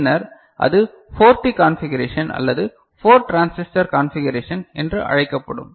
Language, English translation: Tamil, Then that will be called 4T configuration or 4 transistor configuration ok